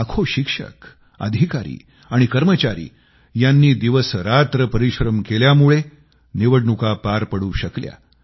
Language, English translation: Marathi, Lakhs of teachers, officers & staff strived day & night to make it possible